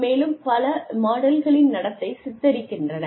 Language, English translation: Tamil, And, have several models, portray the behavior